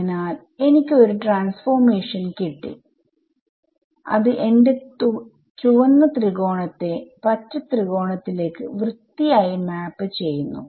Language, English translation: Malayalam, So, I have got a transformation that is very neatly mapping my red triangle to the green triangle right very clever